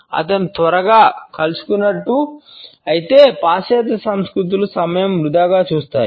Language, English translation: Telugu, If he has met quickly the western cultures will see it as a waste of time